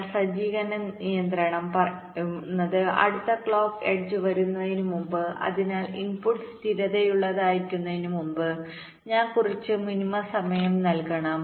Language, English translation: Malayalam, but the setup constraints says that before the next clock edge comes, so i must be giving some minimum time before which the input must be stable